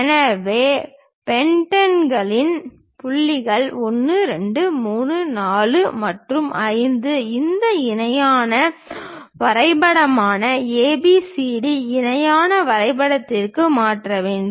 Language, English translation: Tamil, So, the points of the pentagon 1 2 3 4 and 5 we have to transfer that onto this parallelogram ABCD parallelogram